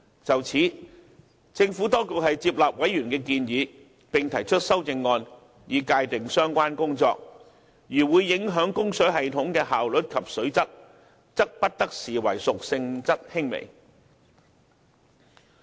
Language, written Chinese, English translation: Cantonese, 就此，政府當局接納委員的建議，並提出修正案，以界定相關工作，如會影響供水系統的效率及水質，則不得視為屬性質輕微。, In this regard the Administration has taken on board members suggestion and will propose a CSA to define such works and provide that any works that will adversely affect the efficiency of the water supply system and the quality of the water must not be considered as works of a minor nature